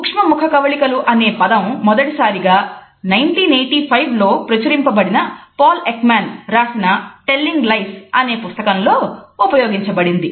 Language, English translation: Telugu, The phrase micro expressions was used for the first time by Paul Ekman in his book Telling Lies which had come out in 1985